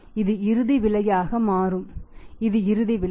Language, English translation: Tamil, This will become the final price, this is the final price